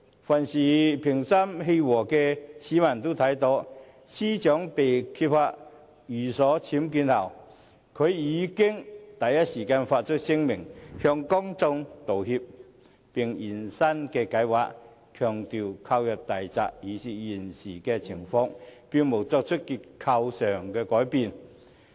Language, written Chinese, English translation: Cantonese, 凡是心平氣和的市民都看到，司長被揭發寓所僭建後，已第一時間發出聲明向公眾道歉，並現身"解畫"，強調大宅購入時已是現時情況，並無作出結構改動。, Any calm and sensible person should have seen that following the disclosure of UBWs in her residence the Secretary for Justice issued a statement apologizing to the public in the first instance; she also appeared in person to offer explanation stressing that the villa was already in this present state when she purchased it and no structural changes were made